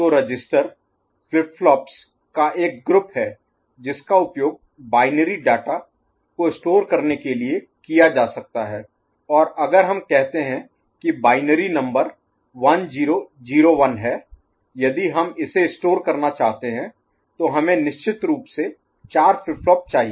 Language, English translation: Hindi, So, register is a group of flip flops that can be used to store binary data and if we think of say a binary numbers say 1001, if you want to store then we need of course, 4 flip flops ok